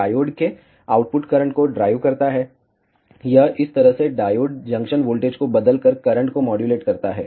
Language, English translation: Hindi, Drives the output current of the diode, it modulates the current by changing the diode junction voltage in this fashion